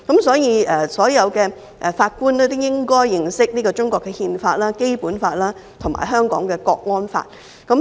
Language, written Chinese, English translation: Cantonese, 所以，所有法官都應該認識中國的憲法、《基本法》和《香港國安法》。, Only then will it be right . Therefore all judges should have knowledge of the constitution of China the Basic Law and the Hong Kong National Security Law